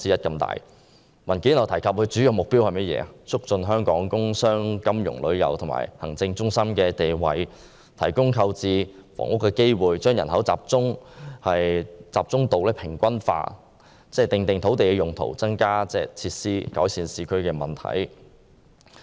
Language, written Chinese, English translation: Cantonese, 根據該份文件，都會計劃的主要目標是促進香港工商、金融、旅遊及行政中心的地位，提供購置房屋的機會，將人口集中度平均化，訂定土地用途，增加設施，改善市區問題。, It was disclosed that the West Kowloon Reclamation works would expand Kowloon by one third . According to that paper the Metroplan mainly aimed at consolidating Hong Kongs position as an industrial commercial financial tourism and administration centre providing opportunities for the purchase of real estates evening out the highly concentrated population specifying the use of the land increasing facilities and improving the urban situations